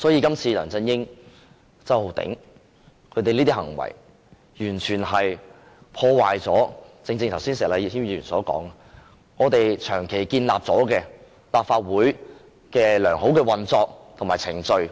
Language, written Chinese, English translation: Cantonese, 今次梁振英和周浩鼎議員的行為，完全破壞了石禮謙議員剛才說的立法會長期建立的良好運作及程序。, The acts of LEUNG Chun - ying and Mr Holden CHOW have completely ruined the good practices and procedures established by the Legislative Council over a long period as Mr Abraham SHEK mentioned earlier